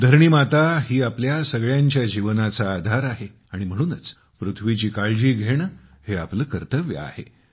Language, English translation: Marathi, Mother Earth is the very basis of the lives of all of us… so it is our duty to take care of Mother Earth as well